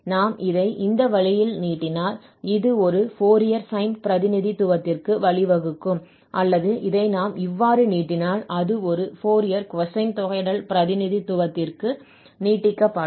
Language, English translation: Tamil, If we extend it in this way, then this will lead to a Fourier sine representation or if we extend this in this way, then it will extend to a Fourier cosine integral representation